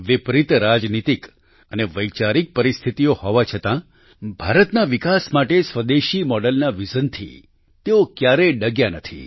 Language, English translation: Gujarati, Despite the adverse political and ideological circumstances, he never wavered from the vision of a Swadeshi, home grown model for the development of India